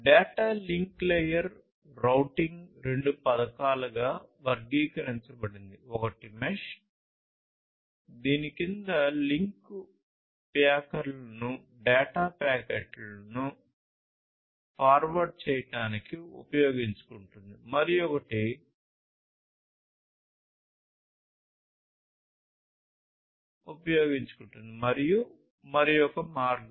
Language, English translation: Telugu, So, in data link layer routing is classified into two schemes, one is the mesh under which utilizes the link layer addresses to provide to forward data packets and the other one is the route over, and the other one is the route over